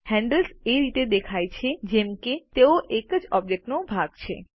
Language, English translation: Gujarati, The handles appear as if they are part of a single object